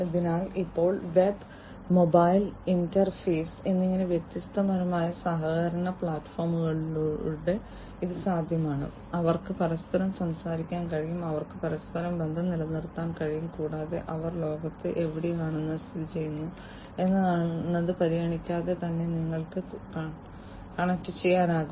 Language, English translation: Malayalam, So, now it is possible through different collaborative platforms, such as web and mobile interface different people, they would be able to talk to one another they can remain connected to one another and irrespective of where they are located in the world they you can connect to one another